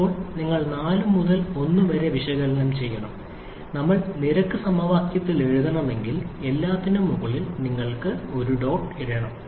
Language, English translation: Malayalam, And now you have to analyze 4 to 1, if we want to write in rate equation, you have to put a dot on top of everything